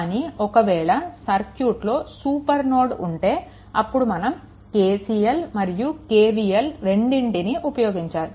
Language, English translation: Telugu, So, in this case, but if it is a super node, then of course, we have seen KCL and KVL both require